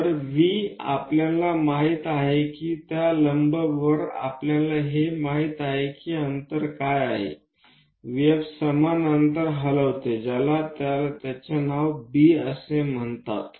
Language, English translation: Marathi, So, V we know F we know on that perpendicular line what is this distance V F equal distance move it name it as B